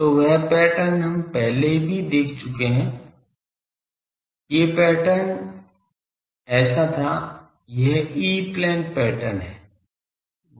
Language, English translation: Hindi, So, that pattern was we have already seen that pattern was like this so, this is the E plane pattern